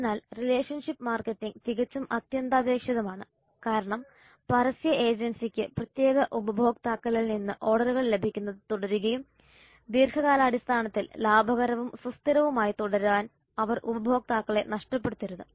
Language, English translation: Malayalam, So relationship marketing is absolutely essential because the advertising agency has to continue getting the orders from their particular customers and they should not lose these customers in order to remain profitable and sustainable over the long time